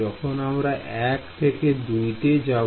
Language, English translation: Bengali, When I travel from 1 to 2